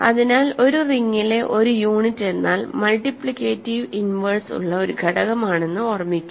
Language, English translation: Malayalam, Remember in a ring not every element is required to have a multiplicative inverse